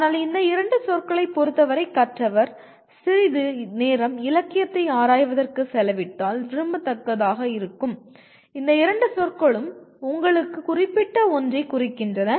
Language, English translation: Tamil, But regarding thess two words it will be desirable if the learner spends some amount of time exploring the literature on that so that these two words mean something specific to you